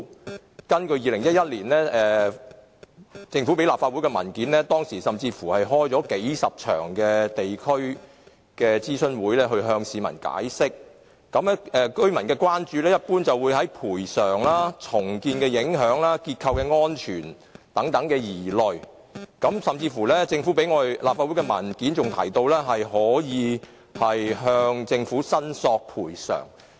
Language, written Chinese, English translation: Cantonese, 根據政府在2011年提交立法會的文件，當時曾舉行數十場地區諮詢會向市民作出解釋，居民所關注的一般是有關賠償、重建影響和結構安全等的疑慮，而政府提交立法會的文件甚至提到可向政府申索賠償。, According to a paper submitted by the Government to this Council in 2011 tens of regional forums were held then to explain the case to the public and the affected residents were generally concerned about such issues as compensation impacts on redevelopment structural safety and so on . It was even stated in the paper submitted by the Government to this Council that it would be possible for the affected persons to claim compensation from the Government